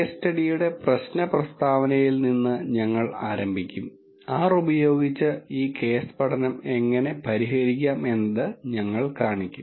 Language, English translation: Malayalam, We will start with the problem statement of the case study and we will show how to solve this case study using R